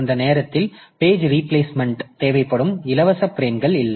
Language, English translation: Tamil, So, this is the page replacement at that time it will be required and there are no free frames